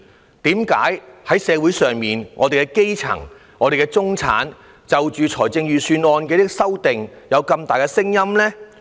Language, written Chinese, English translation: Cantonese, 為甚麼在社會上，基層和中產就着預算案的修訂有這麼多的聲音呢？, Why do the grass roots and the middle class in the community have so much to say about amending the Budget?